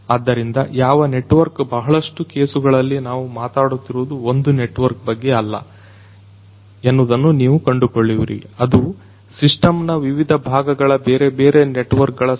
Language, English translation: Kannada, So, which network many many cases you will find that it is not a single network that we are talking about, it is a collection of different different networks in the different parts of the system